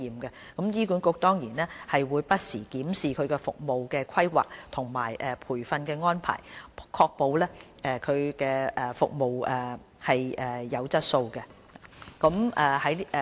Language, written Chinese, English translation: Cantonese, 醫管局會不時檢視服務的規劃和培訓安排，確保服務質素。, HA will review its service planning and training arrangement from time to time to ensure service quality